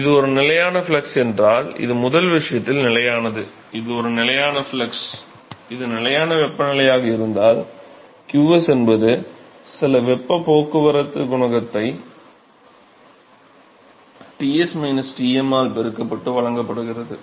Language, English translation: Tamil, If it is a constant flux then this is constant for first case, it is a constant flux then this is constant, if it is constant temperature, qs is given by some heat transport coefficient multiplied by Ts minus Tm right